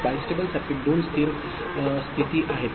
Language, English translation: Marathi, A bistable circuit has two stable states